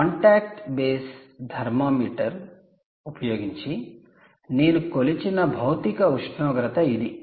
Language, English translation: Telugu, this is physical temperature that we measured using the contact based thermometer